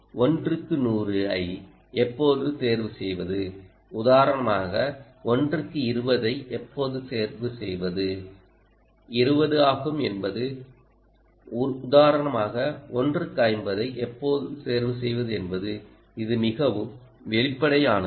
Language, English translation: Tamil, one is hundred, when to choose one is to twenty, for instance, and one to choose when to choose one is fifty, for instance